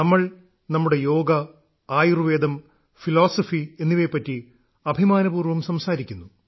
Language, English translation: Malayalam, We have a lot to be proud of…Our yoga, Ayurveda, philosophy and what not